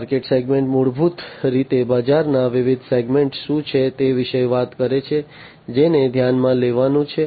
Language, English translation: Gujarati, Markets segment basically talks about what are the different segments of the market that has to be considered